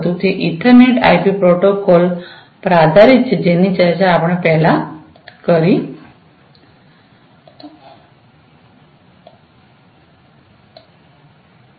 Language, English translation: Gujarati, It is based upon the Ethernet IP protocol, which we have discussed before